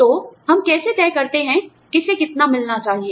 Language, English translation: Hindi, So, how do we decide, who should get, how much